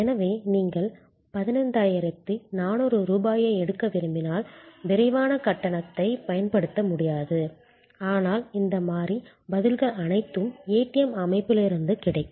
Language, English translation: Tamil, So, if you want to draw 15,400 rupees you will not be able to use the quick payment, but all these variable responses are available from the ATM system